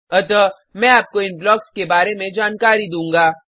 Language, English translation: Hindi, So, I will be just briefing you about these blocks